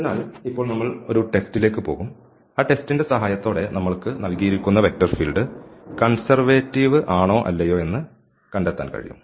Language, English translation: Malayalam, So, now, we will go for the test with the help of that test we can find out whether the given vector field is conservative or not